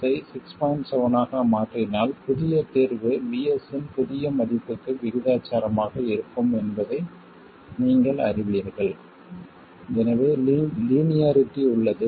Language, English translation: Tamil, 7 you know that the new solution is simply proportional to the new value of VS